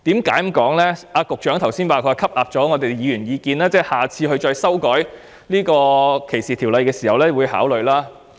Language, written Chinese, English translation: Cantonese, 局長剛才表示已吸納議員的意見，在下次再修訂有關條例時會考慮。, The Secretary just now stated that he has taken on board Members views and would consider them when amendment was made to the relevant ordinances again in the future